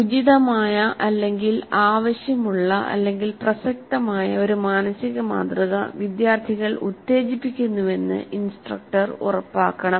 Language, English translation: Malayalam, So the instructor must ensure that an appropriate mental model, the required mental model, the relevant mental model is invoked by the students